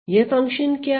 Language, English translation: Hindi, So, what is this function